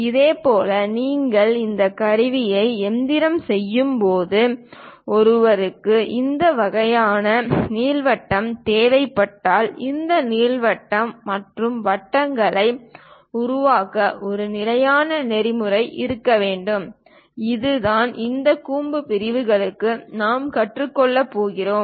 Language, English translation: Tamil, Similarly, when you are machining these tools; if one requires this kind of ellipse is, there should be a standard protocol to construct these ellipse and circles, and that is the thing what we are going to learn for this conic sections